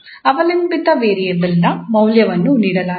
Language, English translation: Kannada, The derivative of the dependent variable is known